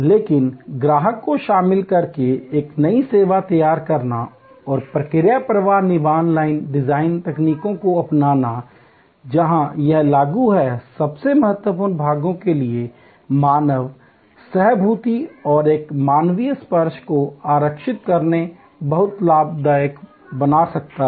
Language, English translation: Hindi, But in creating a new service by involving the customer and adopting process flow manufacturing line design techniques, where it is applicable, reserving human empathy and a human touch for the most critical portions, one can create very profitable